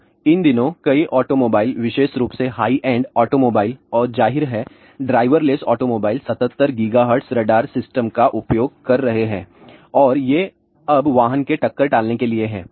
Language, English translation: Hindi, Now, these days many automobiles specially high end automobiles and of course, driver less automobiles are using 77 gigahertz radar system and these are again now collision avoidance for the vehicle